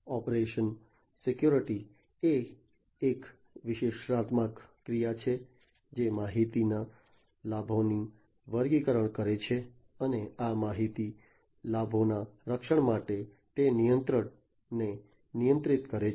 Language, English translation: Gujarati, Operation security is an analytical action, which categorizes the information benefits and for protection of these information benefits, it regulates the control